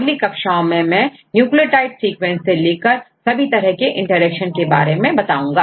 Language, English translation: Hindi, In the next classes I will start with a different aspect starting with nucleotide sequence to up to these different types of interactions